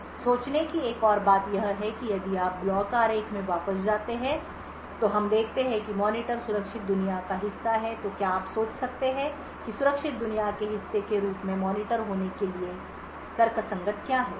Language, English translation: Hindi, Another thing to think about is if you go back to the block diagram we see that the monitor is part of the secure world so could you think about what is the rational for having the monitor as part of the secure world